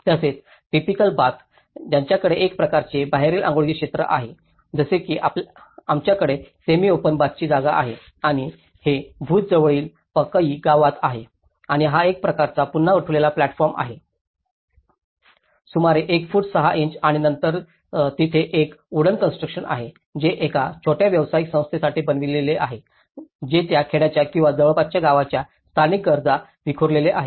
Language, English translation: Marathi, Also, the typical bath, they have a kind of outdoor bathing areas like we have a semi open bath spaces and also this is in Pakai village near Bhuj and this is a kind of again a raised platform about one feet six inches and then there is a wooden construction which has been made for a small commercial entity which is scattered to the local needs of that village or nearby villages